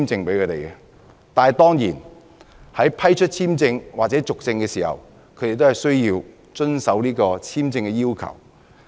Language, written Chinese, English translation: Cantonese, 但是，在要求批出簽證或批准續證的時候，申請人當然要遵守簽證要求。, However the applicants for visas or visa renewal must comply with the visa requirements